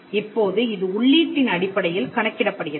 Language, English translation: Tamil, Now, this is computed based on the input